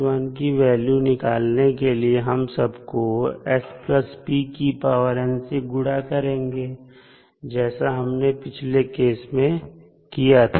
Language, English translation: Hindi, For finding out the value of k n minus 1, we have to multiply each term by s plus p to the power n as we did in this case